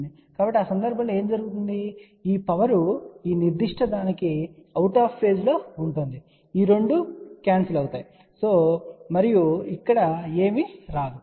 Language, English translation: Telugu, So, what will happen in that case this power will be outer phase of this particular thing, these 2 will cancel and nothing will come over here ok